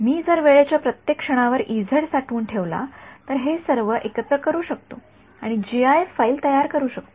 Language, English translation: Marathi, If I store the E z at every time instant I can put it all together and make gif file